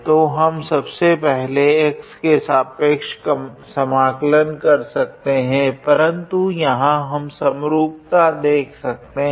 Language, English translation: Hindi, So, first of all we can integrate with respect to with respect to x, but here we can see that there is symmetry in a way